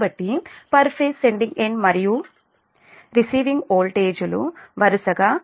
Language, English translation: Telugu, so the per phase sending end and receiving voltages are v, s and v, r respectively